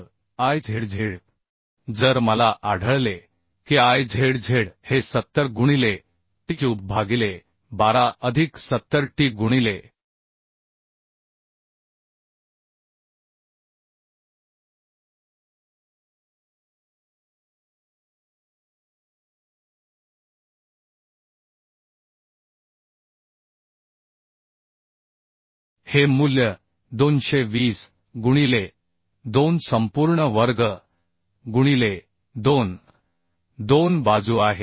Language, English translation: Marathi, So Izz if I find I can find Izz as 70 into t cube by 12 plus 70t into this value is 220 220 by 2 whole square right into 2 those two sides